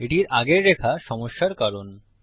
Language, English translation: Bengali, The line before it is causing a problem